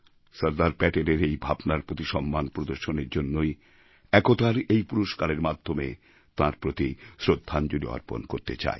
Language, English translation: Bengali, It is our way of paying homage to Sardar Patel's aspirations through this award for National Integration